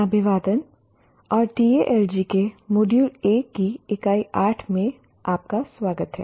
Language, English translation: Hindi, Greetings and welcome to Unit 8 of Module 1 of Tal G